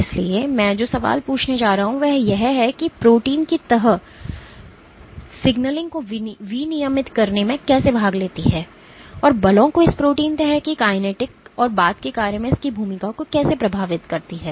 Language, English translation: Hindi, So, the question that I am going to ask is how does folding of the protein participate in regulating signaling and how does forces influence the folding kinetics of this protein and its role in subsequent function